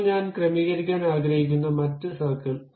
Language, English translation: Malayalam, Now, the other circle I would like to adjust